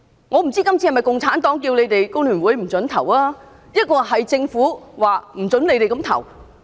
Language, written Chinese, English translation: Cantonese, 我不知道今次是否共產黨要求你們工聯會不可投票，抑或是政府說不准你們那樣投票呢？, I am not sure whether it is the Communist Party or the Government which demands Members from FTU not to vote in favour of the amendment